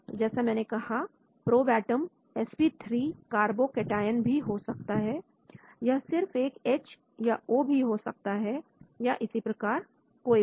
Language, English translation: Hindi, So probe atom like I said could be sp3 carbocation, it could be even H or it could be O and so on actually